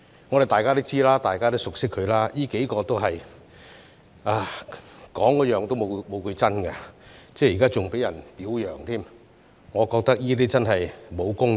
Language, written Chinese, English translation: Cantonese, 我們都知道，大家也熟悉他們，這幾個人都是說話沒有一句是真的，現在還被人表揚，我覺得這真的沒有公義。, We all know―as we are familiar with them―that these individuals have never spoken a word of truth but now they are commended . I think this is really unjust